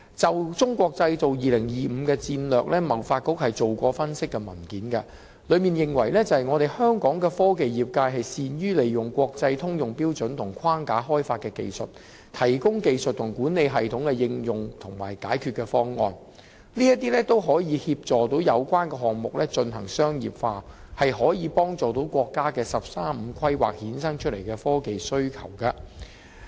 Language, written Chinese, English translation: Cantonese, 就"中國製造 2025" 的戰略，香港貿易發展局曾發表分析文件，當中認為香港的科技業界善於利用國際通用標準和框架開發的技術，提供技術和管理系統的應用和解決方案，並可協助有關項目進行商業化，切合國家的"十三五"規劃衍生出來的科技需求。, With regard to the Made in China 2025 strategy the Hong Kong Trade Development Council has published an analysis in which it is stated that the technology industry of Hong Kong which excels in using technologies developed by international standards and frameworks to provide technological and management system solutions can assist in the commercialization of related projects in the Mainland and meet the technologicial demands arising from the National 13 Five Year Plan